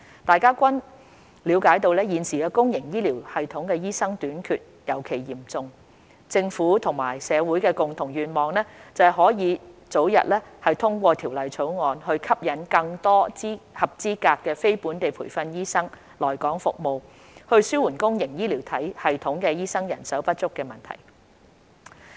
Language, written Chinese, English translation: Cantonese, 大家均了解到現時公營醫療系統醫生短缺尤其嚴重，政府和社會的共同願望是可以早日通過《條例草案》，吸引更多合資格非本地培訓醫生來港服務，紓緩公營醫療系統醫生人手不足的問題。, We all know that the problem of doctor shortage is particularly serious in the public healthcare sector . The shared wish of the Government and the community is the early passage of the Bill to attract more qualified NLTDs to serve in Hong Kong and to alleviate the shortage of doctors in the public healthcare system